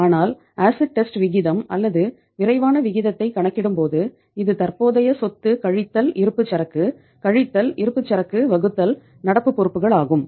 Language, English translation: Tamil, But when you calculate the acid test ratio or quick ratio when you calculate this so this is calculated like uh current asset minus inventory, minus inventory divided by current liabilities